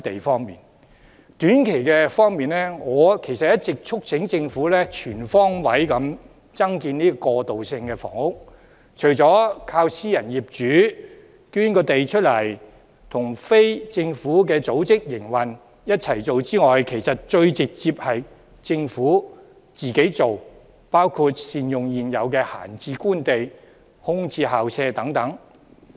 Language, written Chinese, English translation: Cantonese, 在短期方面，我其實一直促請政府全方位增建過渡性房屋，除了靠私人業主捐出土地，以及與非政府組織營運，雙管齊下外，其實最直接的做法是政府自己推進，包括善用現有閒置官地、空置校舍等。, For the short term I have been urging the Government to increase transitional housing supply on all fronts . Apart from adopting the two - pronged approach that is donations by private owners and operation by non - governmental organizations the Government should take forward the initiative direct by fully utilizing idle government sites and vacant school premises